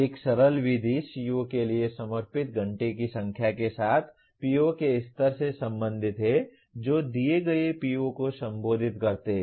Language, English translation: Hindi, One simple method is to relate the level of PO with the number of hours devoted to the COs which address the given PO